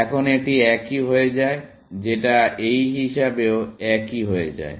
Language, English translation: Bengali, Now, of course, this becomes the same, which becomes the same as this